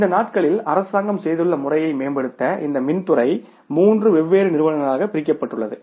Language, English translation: Tamil, Now to improve this system now the government has done these days this power sector is divided into the three different entities